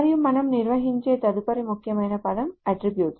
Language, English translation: Telugu, And the next important term that we define is the attribute